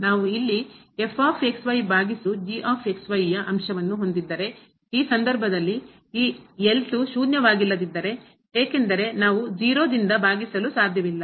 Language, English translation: Kannada, If we have the quotient here over ; in this case if this is not zero because we cannot divide by 0